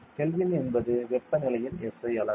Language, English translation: Tamil, Kelvin is the SI unit of temperature